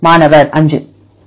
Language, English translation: Tamil, This is 5